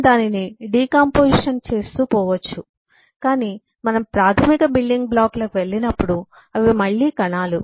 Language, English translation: Telugu, we can keep on decomposing that, but when we go to the basic building blocks, they are again cells